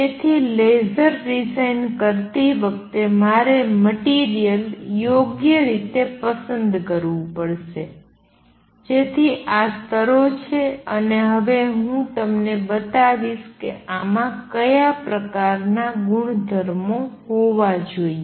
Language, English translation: Gujarati, So, in designing a laser, I have to choose material properly, so that there are these levels and now I going to show you what kind of property is these should have